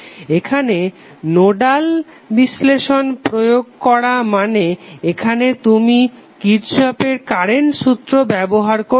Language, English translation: Bengali, So if you apply nodal analysis that means that you have to use Kirchhoff’s current law here